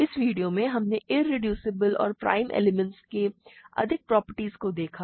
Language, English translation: Hindi, In this video, we looked at more examples of, more properties of irreducible and prime elements